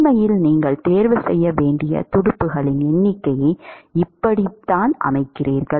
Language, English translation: Tamil, In fact, that is how you set the number of fins that you should choose